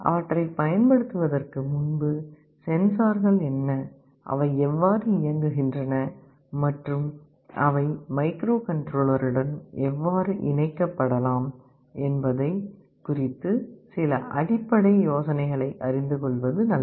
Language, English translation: Tamil, Before using them, it is always good to know what the sensors are, how they work and some basic idea as to how they can be interfaced with the microcontroller